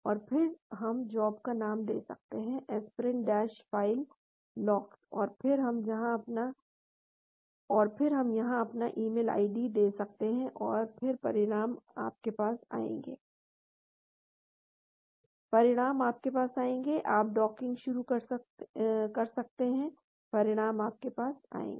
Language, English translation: Hindi, And then we can give the job name, aspirin dash file lox and then we can give my email id here and then the results will come to you, the results will come to you, you can start docking, results will come to you